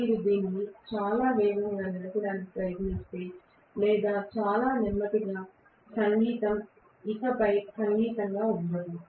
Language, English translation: Telugu, If you try to run it too fast or too slow music will not be music anymore right